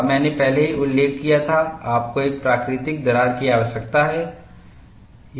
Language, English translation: Hindi, And I had already mentioned, you need a natural crack